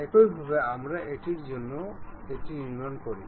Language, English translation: Bengali, In the similar way we construct for this one also